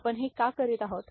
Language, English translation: Marathi, Why are we doing this